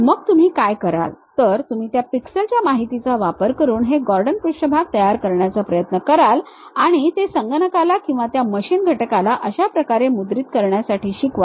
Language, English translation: Marathi, Then what you do is, you use those pixel information's try to construct these Gordon surfaces and teach it to the computer or to that machine element print it in this way